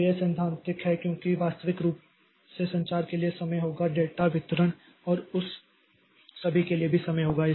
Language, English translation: Hindi, So, this is theoretical because practically there will be time for communication, there will time for data distribution and all that